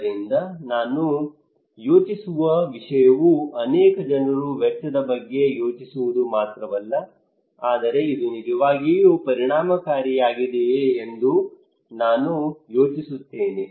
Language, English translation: Kannada, So the thing I will think not only cost many people think about the cost, but I will think also is it really effective